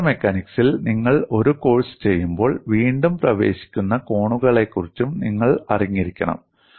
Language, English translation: Malayalam, When you are doing a course on fracture mechanics, you should also know about reentrant corners